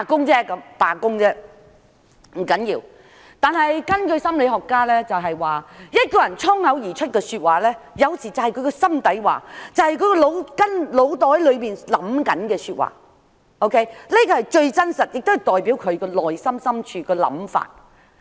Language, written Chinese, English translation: Cantonese, 這不要緊，但根據心理學家所說，一個人衝口而說出的話，有時才是他的心底話，是他腦子裏正在想的說話，這是最真實，亦代表他內心深處的想法。, That did not matter . According to the theory of psychology a spur - of - the - moment remark reflects the innermost thought of a person and what one really has in mind at that moment . It is the truest and most hidden thought of a person